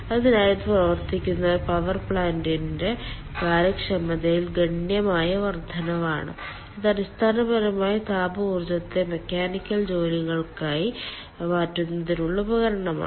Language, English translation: Malayalam, so this is a substantial increase in the efficiency of a power plant which is operating on, i mean which is op ah, which is basically a um ah conversion device for thermal energy to mechanical work and ah